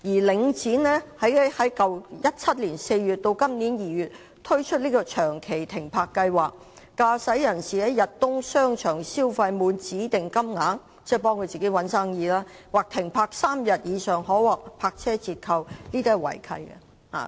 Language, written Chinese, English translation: Cantonese, 領展在2017年4月至今年2月推出長期停泊計劃，駕駛人士在逸東商場消費滿指定金額——即是為自己的商場找生意——或停泊3天以上可獲泊車折扣，這是違契的。, Link REIT launched an extended parking scheme between April 2017 and February 2018 offering parking discounts to drivers spending a specified amount at Yat Tung Shopping Centre―this is promotion of its shopping centre―or parking for no less than three days yet the arrangement breaches the land lease